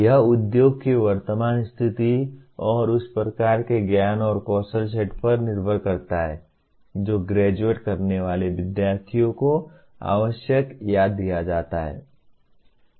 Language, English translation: Hindi, It depends on the current state of the industry and the kind of knowledge and skill sets that are required or given to the graduating students